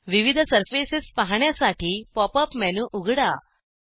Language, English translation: Marathi, To view different surfaces, open the pop up menu